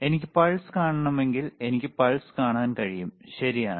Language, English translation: Malayalam, If I want to see the pulse, then I can see the pulse, right